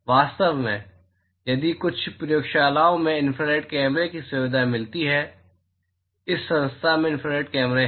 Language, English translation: Hindi, In fact, if you get an access to infrared camera in some of the labs; there are infrared cameras in this institute